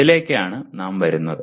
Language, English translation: Malayalam, That is what we are coming to